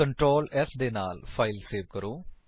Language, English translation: Punjabi, Save the file with Ctrl s